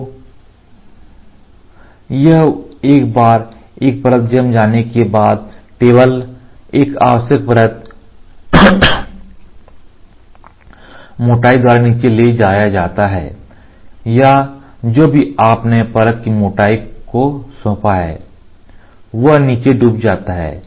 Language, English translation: Hindi, So, this once a single layer is cured the table is move down by a required layer thickness or whatever you have assigned layer thickness it sinks down